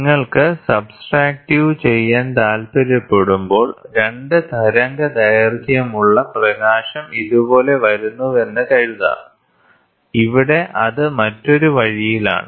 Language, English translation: Malayalam, And when you want to do subtractive, you can suppose you have 2 wavelengths of light coming like this and here it is on the other way around